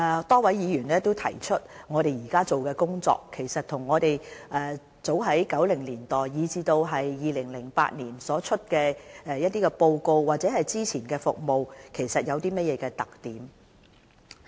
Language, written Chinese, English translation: Cantonese, 多位議員問及我們目前做的工作與1990年代，以至2008年所公布的一些報告或之前的服務，有甚麼特點。, A number of Members would like to know the characteristics of our current work as compared with the relevant services introduced in the 1990s or put forward under the reports published in 2008